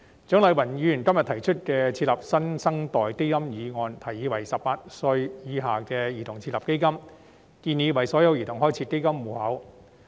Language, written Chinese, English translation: Cantonese, 蔣麗芸議員今天提出設立"新生代基金"的議案，建議為18歲以下的兒童設立基金，並為所有兒童開設基金戶口。, Today Dr CHIANG Lai - wan proposed a motion on the setting up of a New Generation Fund . She proposes to set up a fund for children under the age of 18 so that all of them will have a fund account